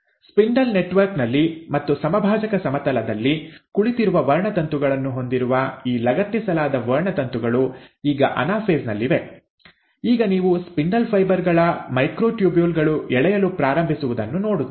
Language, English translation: Kannada, Now it is at the anaphase that these attached chromosomes, which are sitting on a spindle network and you have the chromosomes sitting at the equatorial plane, that you now start seeing that this, the microtubules of the spindle fibres start pulling apart